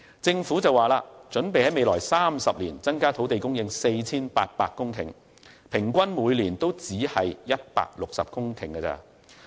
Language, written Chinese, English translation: Cantonese, 政府表示擬於未來30年增加土地供應 4,800 公頃，平均每年亦只是160公頃。, According to the Government it planned to increase land supply by 4 800 hectares in the next 30 years but still this only represents an average increase of 160 hectares per year